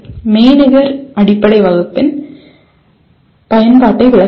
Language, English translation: Tamil, Explain the use of virtual base class